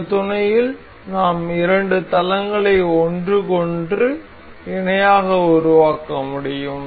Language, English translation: Tamil, In this mate we can make two planes a parallel to each other